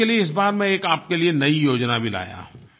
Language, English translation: Hindi, And for this, I have also brought a new scheme